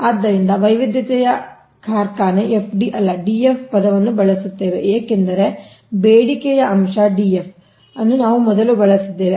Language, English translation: Kannada, so diversity factory, we will use the term fd, not df, because demand factor df earlier we have used right